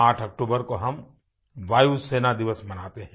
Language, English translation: Hindi, We celebrate Air Force Day on the 8th of October